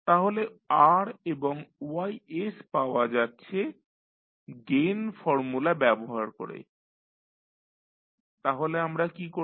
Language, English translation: Bengali, So, R and Ys is obtained by using the gain formula so what we will do